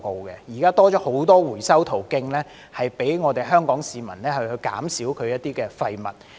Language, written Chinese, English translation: Cantonese, 現在已增加了很多回收途徑，讓香港市民減少一些廢物。, Now recycling channels have been increased significantly to enable the people of Hong Kong to reduce waste